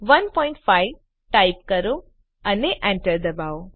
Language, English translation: Gujarati, Type 1.5 and press Enter